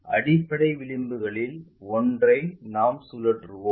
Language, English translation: Tamil, Let us rotate this one of the base edges